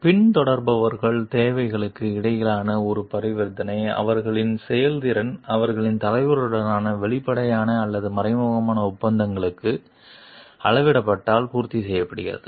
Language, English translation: Tamil, A transaction between followers needs are met, if in their performance measures up to their explicit or implicit contracts with their leader